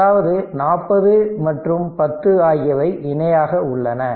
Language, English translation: Tamil, So, 4 and 15 are in parallel